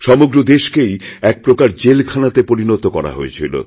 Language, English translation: Bengali, The country had virtually become a prison